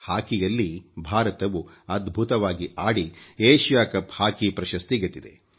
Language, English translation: Kannada, In hockey, India has won the Asia Cup hockey title through its dazzling performance